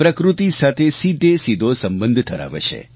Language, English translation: Gujarati, There is a direct connect with nature